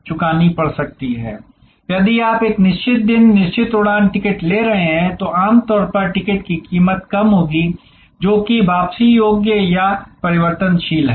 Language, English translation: Hindi, So, if you are taking a fixed day, fixed flight ticket, usually the price will be lower than a ticket which is refundable or changeable